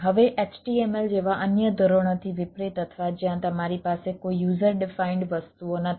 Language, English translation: Gujarati, now, in order to now, unlike other standard like html or where you have no user defined things